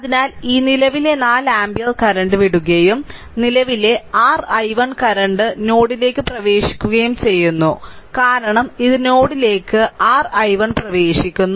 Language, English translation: Malayalam, So, this current 4 ampere current is leaving right and this current this your i 1 current this is your i 1 current entering into the node, because this is your i 1 entering into the node